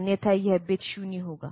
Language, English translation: Hindi, Otherwise this bit will be 0